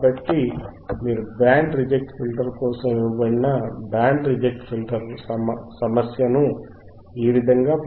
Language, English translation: Telugu, So, the guys this is how you can solve a band reject filter right problem which is given for the band reject filter